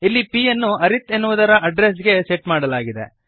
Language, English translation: Kannada, Now here, p is set to the address of arith